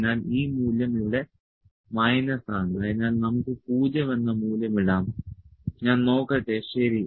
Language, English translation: Malayalam, So, the value is minus here, so we can put the value 0 let me see, ok